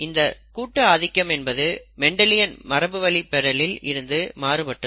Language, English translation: Tamil, That is what is called co dominance which is again a difference from the Mendelian inheritance